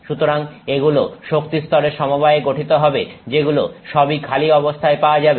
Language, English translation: Bengali, So this consists of energy levels that are all available and empty